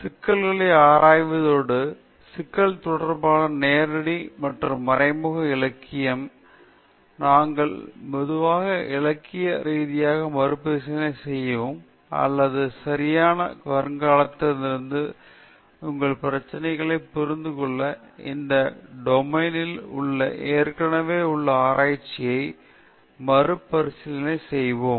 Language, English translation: Tamil, Then we will start with examining the problem, and the direct and indirect literature related to the problem, which we normally describe as literature review or you conduct a review of the already existing research in this domain to understand your problem from a right prospective, and also to situate in the correct angle